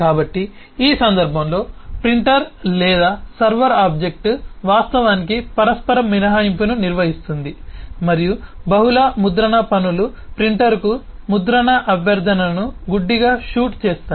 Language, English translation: Telugu, so this is a situation where the invoked object, in this case the printer or the server object, actually manages the mutual exclusion and the multiple print tasks would just blindly shoot print request to the printer